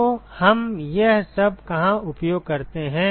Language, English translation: Hindi, So, where do we use all this